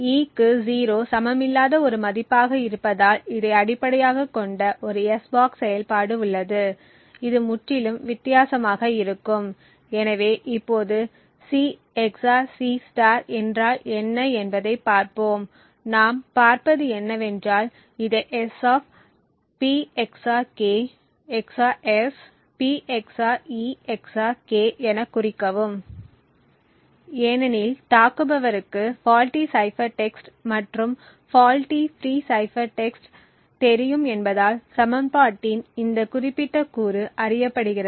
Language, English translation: Tamil, Note that since e has a value which is not equal to 0 therefore we have an s box operation based on this which would look completely different, so now let us look at what C XOR C* is and what we see is that we can represent this as S[ P XOR k] XOR S[P XOR e XOR k], since the attacker knows the faulty cipher text and fault free cipher text this particular component of the equation is known